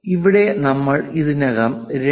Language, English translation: Malayalam, Here we are showing 2